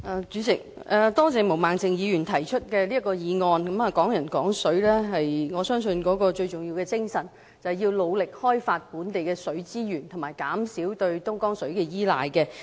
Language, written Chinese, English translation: Cantonese, 代理主席，多謝毛孟靜議員提出這項議案，我相信"港人港水"的最重要精神是，要努力開發本地的水資源和減少對東江水的依賴。, Deputy President I would like to thank Ms Claudia MO for moving this motion . I believe that the most important spirit of Hong Kong people using Hong Kong water is to vigorously develop local water resources and minimize our dependence on Dongjiang water